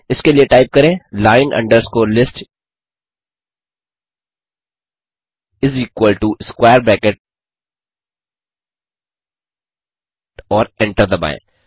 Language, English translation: Hindi, for that type line underscore list is equal to square bracket and hit Enter